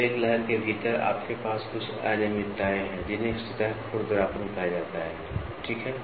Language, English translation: Hindi, So, within a wave you have some irregularities those things are called as surface roughness, ok